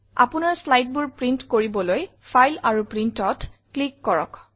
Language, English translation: Assamese, To take prints of your slides, click on File and Print